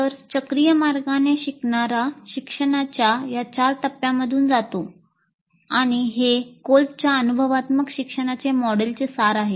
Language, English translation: Marathi, So in a cyclic way the learner goes through these four stages of learning and this is the essence of Colbes model of experiential learning